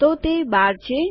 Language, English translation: Gujarati, So, thats 12